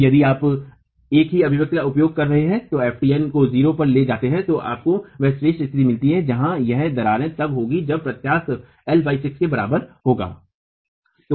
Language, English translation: Hindi, Now if you use the same expression and take FMT to 0, then you get the classical condition where this cracking is occurring when eccentricity is equal to L by 6